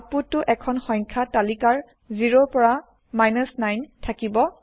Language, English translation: Assamese, The output will consist of a list of numbers 0 through 9